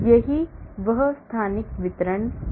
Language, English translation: Hindi, that is what it is on the spatial distribution